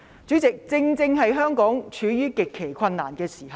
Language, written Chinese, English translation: Cantonese, 主席，香港正處於極其困難的時候。, Chairman Hong Kong is in an extremely difficult time